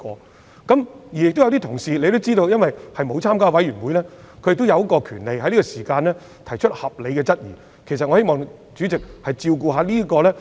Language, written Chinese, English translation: Cantonese, 大家也知道，有些議員並沒有加入法案委員會，他們有權在這個階段提出合理質疑，我希望主席諒解。, As Members may know Members who have not joined the Bills Committee have the right to raise reasonable questions at this stage . Hence Chairman I hope you would understand